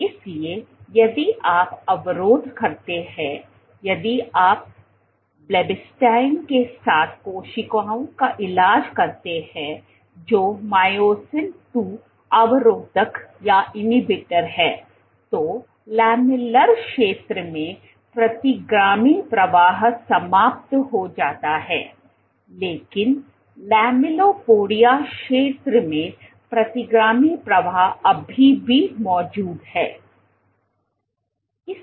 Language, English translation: Hindi, So, if you inhibit if you treat cells with blebbistatin which is the myosin II inhibitor then the retrograde flow in the lamellar region is eliminated, but the retrograde flow in the lamellipodia region still exists